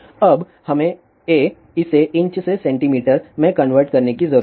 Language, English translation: Hindi, Now we need to convert thisa from inches to centimeter